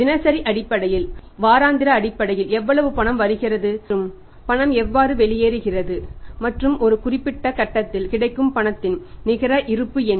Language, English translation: Tamil, How much cash is flowing in on the daily basis weekly basis monthly basis and how the cash is flowing out and at one particular point of time what is the net balance of the cash available